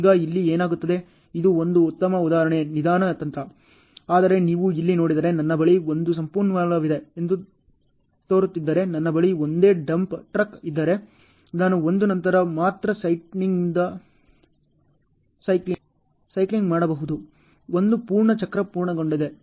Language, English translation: Kannada, Now what happens here this is a very good example slow strategy, but if you see here this looks as if I have one resource with me if I have only one dump truck with me, then I may have to do the cycling only after 1 1 full cycle is completed ok